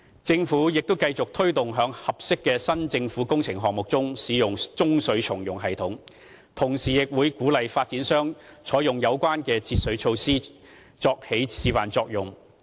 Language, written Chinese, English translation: Cantonese, 政府亦繼續推動在合適的政府新工程項目中，使用中水重用系統，同時亦為鼓勵發展商採用有關的節水措施，以起示範作用。, The Government will continue to promote grey water reuse system in new public construction projects whenever suitable and let them play an exemplary role in encouraging developers to adopt the relevant water conservation measures